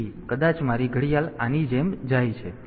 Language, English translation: Gujarati, So, maybe my watch goes like this